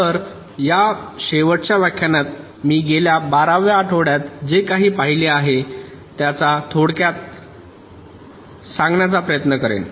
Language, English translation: Marathi, so here in this last lecture i will try to summarize whatever we have seen over the last twelfth weeks